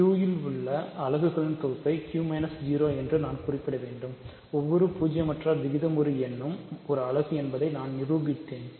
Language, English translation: Tamil, So, one thing I should mention the set of units in Q is Q minus 0, I proved that every non zero rational number is a unit